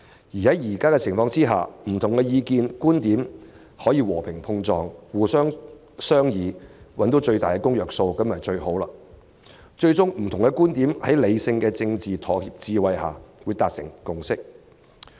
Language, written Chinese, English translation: Cantonese, 如此一來，不同意見、觀點可以和平碰撞，透過商議找到最大公約數，在理性的政治妥協智慧下最終讓不同觀點達致共識，這是最好的。, For that is how different ideas and viewpoints can interact peacefully a common denominator can be found through discussions and a consensus of different views can ultimately be reached through the rational political wisdom of compromise which is the best outcome